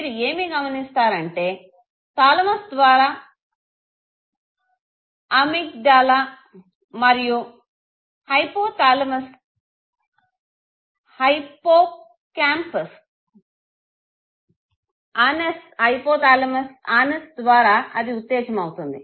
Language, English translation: Telugu, And you realize that through thalamus, Amygdala and hypothalamus the anus system gets activated, okay